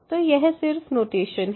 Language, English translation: Hindi, So, this is just the notation